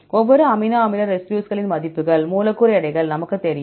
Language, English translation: Tamil, We know the values for each amino acid residues, the molecular weights